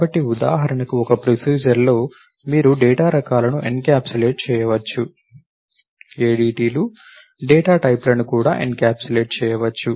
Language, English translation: Telugu, So, just as in a procedure for example, you can encapsulate the functionality ADTs are used to encapsulate data types also